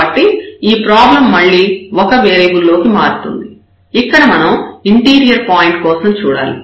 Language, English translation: Telugu, So, we will have again a problem of 1 variable, we have to look for the interior point there